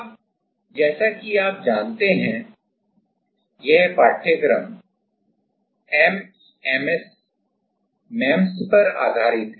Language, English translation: Hindi, Now, as you know, this course is on MEMS